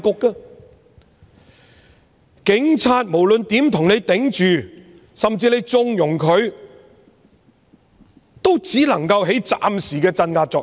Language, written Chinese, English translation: Cantonese, 無論警察如何替你擋，甚至你縱容他們，也只能起暫時的鎮壓作用。, No matter how the Police endeavour to shield you and even if they have your indulgence the effect of oppression can only be temporary